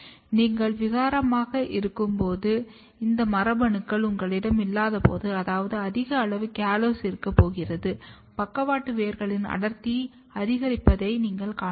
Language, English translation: Tamil, And when you have mutant, when you do not have this genes, which means that you have we are going to have high amount of callose, then you can see that the density of lateral roots are increased